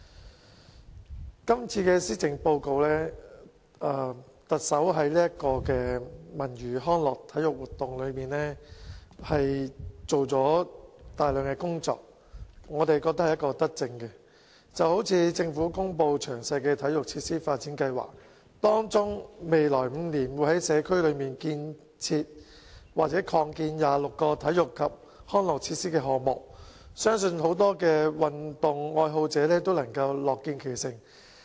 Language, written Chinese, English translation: Cantonese, 在今次的施政報告中，特首在文娛康體活動方面做了大量工作，我們覺得是一項德政，例如政府公布詳細的體育設施發展計劃，包括未來5年會在社區增建或重建26個體育及康樂設施，相信很多運動愛好者均樂見其成。, In this Policy Address the Chief Executive has proposed a large number of initiatives in respect of cultural recreational and sports activities . This we think is a beneficent policy which includes launching 26 projects to develop new or improve existing sports and recreation facilities in the communities in the coming five years . I believe this is welcomed by many sports lovers